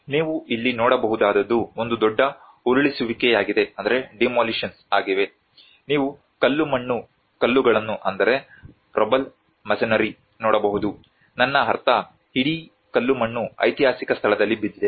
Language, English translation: Kannada, What you can see here is a huge demolitions happened you can see the rubble masonry, I mean the whole rubble fallen on the historical site